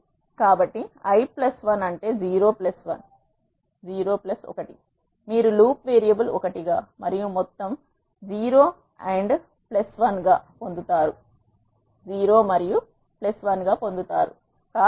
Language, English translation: Telugu, So, i plus 1 which is 0 plus 1 you will get the loop variable as 1 and the sum is 0 plus 1